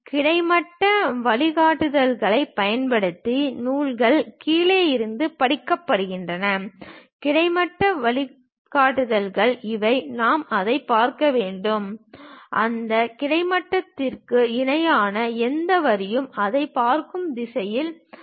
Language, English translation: Tamil, The texts is read from the bottom using the horizontal guidelines; the horizontal guidelines are these one, with respect to that we have to see that; any line parallel to that horizontal, we will be in a position to see that